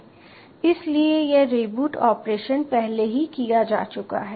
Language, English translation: Hindi, so this reboot operation has already been done